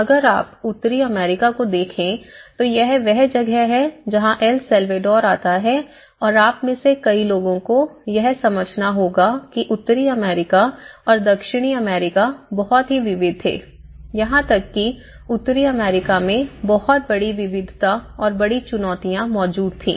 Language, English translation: Hindi, So, its almost if you look from the North America and so, this is where El Salvador comes and many of you have to understand that the America, the North America and the South America was very diverse even within North America there was very great diversity exist and great challenges exist